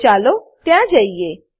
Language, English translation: Gujarati, So, lets go there